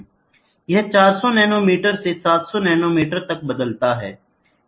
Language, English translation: Hindi, So, it varies from 400 nanometres to 700 nanometeres